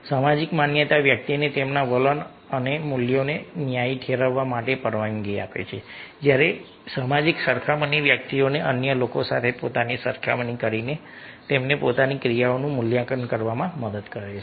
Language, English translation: Gujarati, social validation allows individual to justify their attitudes and values, while social comparison helps individuals evaluate their own actions by comparing themselves to others